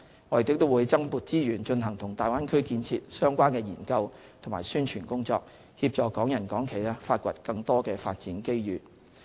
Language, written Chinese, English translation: Cantonese, 我們亦會增撥資源，進行與大灣區建設相關的研究和宣傳工作，協助港人港企發掘更多發展機遇。, Additional resources will also be allocated for undertaking research and publicity on the Bay Area development to assist Hong Kong people and enterprises to discover new opportunities